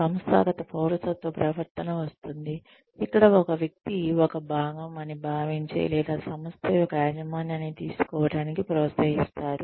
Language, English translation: Telugu, Organizational citizenship behavior comes in, where a person is encouraged to feel or to take ownership of the organization that one is a part of